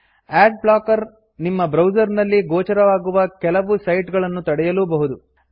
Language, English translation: Kannada, * Adblocker may prevent some sites from being displayed on your browser